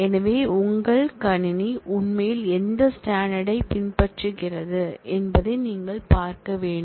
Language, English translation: Tamil, So, you will have to look at what standard your system is actually following